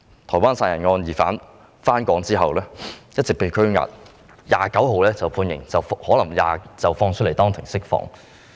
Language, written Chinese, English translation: Cantonese, 台灣殺人案的疑犯回港後一直被拘押，本月29日判刑，可能會當庭獲釋。, The suspect in the Taiwan murder case has been detained since his return to Hong Kong and he will be sentenced on the 29 of this month . He may be released in court